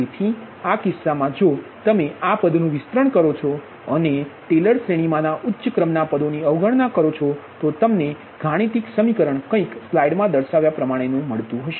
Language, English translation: Gujarati, that if you expand this thing and neglect higher terms in taylor series, then you are mathematical thing will be something like this, right